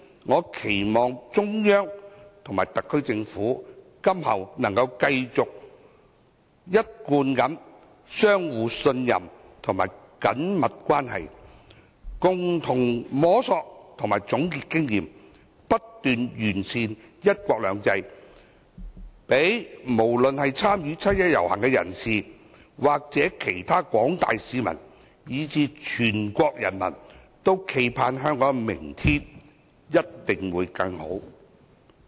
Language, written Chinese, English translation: Cantonese, 我期望中央和特區政府今後能夠繼續一貫的互相信任及緊密關係，共同摸索和總結經驗，不斷完善"一國兩制"，讓參與七一遊行的人士、其他廣大市民以至全國人民冀盼，香港明天一定會更好。, I hope that the Central Authorities and the SAR Government will continue to maintain mutual trust and close relations in future so as to jointly explore and summarize experiences as well as make constant improvements to one country two systems . As such people who participate in the march on 1 July other members of the community as well as all people in the country can look forward to a better tomorrow in Hong Kong